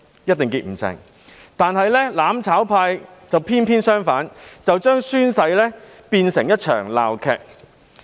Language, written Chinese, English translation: Cantonese, 可是，"攬炒派"卻偏偏相反，把宣誓變成一場鬧劇。, The mutual destruction camp has done the opposite by turning a solemn oath - taking ceremony into a farcical show